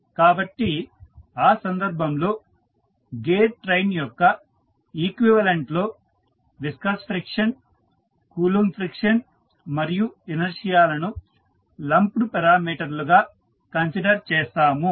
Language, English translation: Telugu, So, in that case the equivalent representation of the gear train with viscous friction, Coulomb friction and inertia as lumped parameters is considered, which is shown in the figure